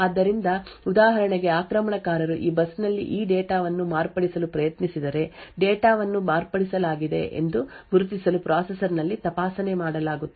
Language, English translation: Kannada, So, for example if an attacker tries to modify this data on this bus checks would be done in the processor to identify that the data has been modified and would throw an exception